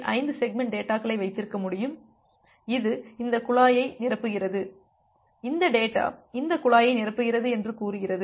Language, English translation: Tamil, 5 segments of data which is filling up this pipe say this data is filling up this pipe